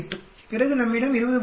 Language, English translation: Tamil, 8, then we have 20